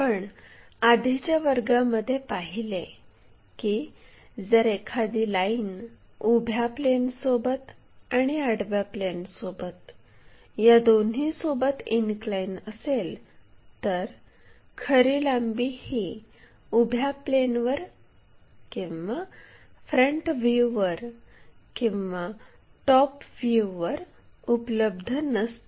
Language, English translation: Marathi, In the last classes we have learnt, if a line is inclined to both vertical plane, horizontal plane, true length is neither available on vertical plane nor on a frontfront view or the top views